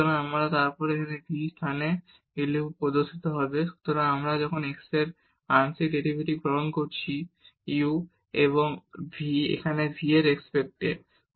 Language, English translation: Bengali, So, then this v will appear at these places here when we are taking the partial derivative of x with respect to u and here with respect to v well; so, moving next